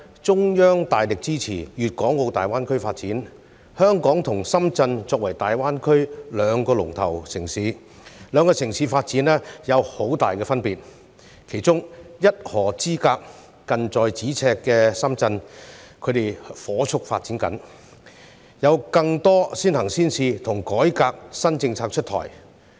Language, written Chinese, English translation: Cantonese, 中央大力支持粤港澳大灣區發展，香港和深圳作為大灣區兩個"龍頭"城市，兩個城市的發展有很大分別，其中一河之隔、近在咫尺的深圳正火速發展，有更多先行先試和改革新政策出台。, The Central Authorities have vigorously supported the development of the Guangdong - Hong Kong - Macao Greater Bay Area GBA . Hong Kong and Shenzhen are the two leading cities in GBA which have adopted very different approaches in their development . Shenzhen very close to Hong Kong and only a river apart is developing rapidly by introducing a lot of pilot measures and new reform policies